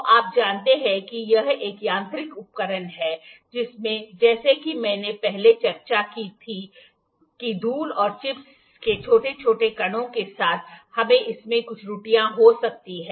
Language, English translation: Hindi, So, you know this is a mechanical instrument in which as I discussed before that with small tiny particles of dust or chips we can have certain errors in it